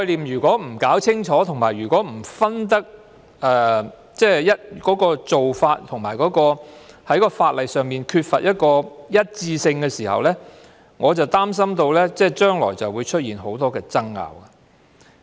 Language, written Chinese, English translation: Cantonese, 如果不弄清楚這些概念、不分清楚做法，而法律上又缺乏一致性時，我擔心將來會出現很多爭拗。, If people do not sort out these concepts and do not differentiate between these methods and the ordinances are inconsistent I am worried that many disputes may arise in the future